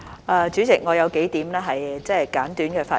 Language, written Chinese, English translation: Cantonese, 代理主席，我有數點簡短的發言。, Deputy Chairman I have a few brief remarks to make